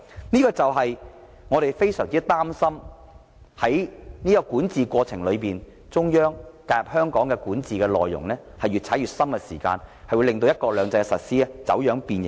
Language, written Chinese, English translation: Cantonese, 這正是我們非常擔心在管治過程中，中央對香港管治的介入越來越大，導致"一國兩制"的實施走樣和變形。, That is why we are very worried that the Central Authorities will have greater interference in the governance of Hong Kong and the implementation of one country two systems will thus be distorted and deformed